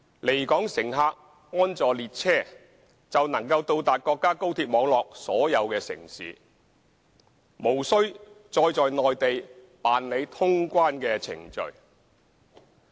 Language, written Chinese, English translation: Cantonese, 離港乘客安坐列車，就能到達國家高鐵網絡所有城市，無需再在內地辦理通關程序。, Passengers departing from Hong Kong can go to all cities on the national high - speed rail network without having to undergo clearance procedures again on the Mainland